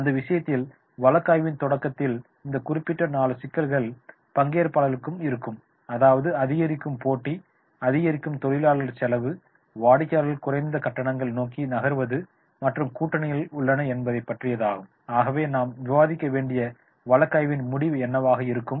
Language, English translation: Tamil, So therefore, in in that case these particular four issues in the beginning of the case the the readers may come out increasing competition level cost arising customers are moving towards the lower fairs and the alliances are there what will be the ending of the case that we have to discuss